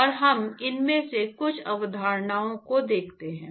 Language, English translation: Hindi, And so, we look at some of these concepts